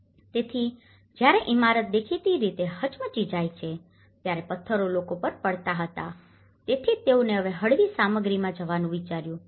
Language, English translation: Gujarati, So, when the building shakes obviously, the stones used to fell down on the people, so that is where they thought of going for lightweight materials